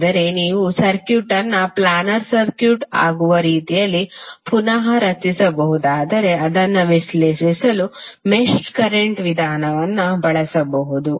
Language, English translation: Kannada, But if you can redraw the circuit in such a way that it can become a planar circuit then you can use the mesh current method to analyse it